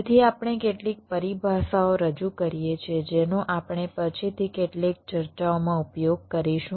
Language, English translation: Gujarati, so so we introduce some terminologies which we shall be using in some discussions later